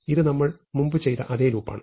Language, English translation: Malayalam, So, this is the same loop we did earlier